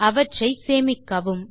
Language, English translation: Tamil, Save each of them